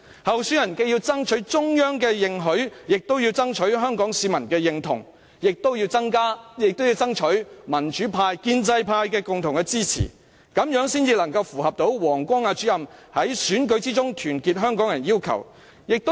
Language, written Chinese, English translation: Cantonese, 候選人既要爭取中央認許，亦要爭取香港市民認同及民主派與建制派共同支持，這樣才能符合王光亞主任在選舉中團結香港人的要求。, The election candidates must endeavour to secure the Central Governments support and common support from both the pro - democracy camp and the pro - establishment camp so as to meet the requirement of uniting Hong Kong people through election as put forth by Mr WANG Guangya